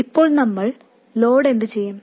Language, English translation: Malayalam, Now what do we do with the load